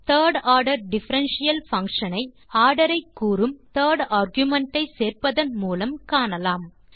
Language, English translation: Tamil, The third order differential function can be found out by adding the third argument which states the order